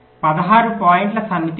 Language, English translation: Telugu, there is a set of sixteen points